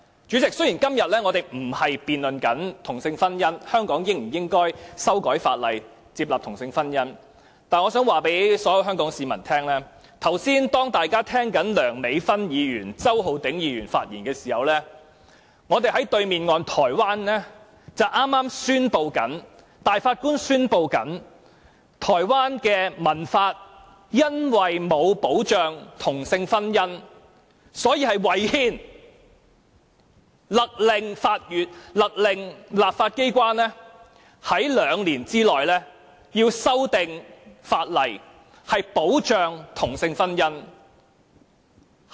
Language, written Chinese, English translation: Cantonese, 主席，雖然我們今天並非辯論香港應否修改法例，接納同性婚姻，但我想告訴所有香港市民，大家剛才在聆聽梁美芬議員和周浩鼎議員的發言時，在香港對岸的台灣，大法官宣布台灣的成文法因為沒有保障同性婚姻，所以違憲，勒令立法機關在兩年內修訂法例，以保障同性婚姻。, What he said seems to be an overstatement . Chairman today we are not debating whether Hong Kong should amend the legislation to accept same - sex marriage but I wish to tell all the people of Hong Kong that while we were listening to the speeches of Dr Priscilla LEUNG and Mr Holden CHOW just now the Grand Justices in Taiwan across the Strait declared that Taiwans statute law was unconstitutional due to its lack of protection for same - sex marriage and they ordered the legislature to amend the law to protect same - sex marriage within two years